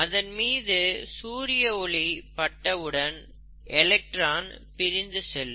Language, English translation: Tamil, In other words, light falls on it, and electrons go out of it